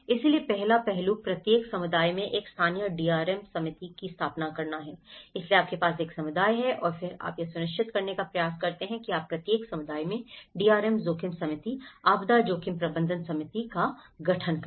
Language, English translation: Hindi, So, the first aspect is establish a local DRM committee in each community so, you have a community and then you try to make sure that you set up a DRM committee, the disaster risk management committee in each community